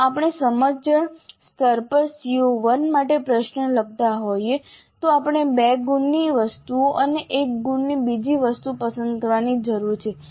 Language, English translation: Gujarati, So if we are composing a question for CO1 at the understand level we need to pick up one item worth two marks and another item worth one mark